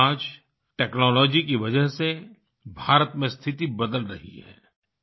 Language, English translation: Hindi, But today due to technology the situation is changing in India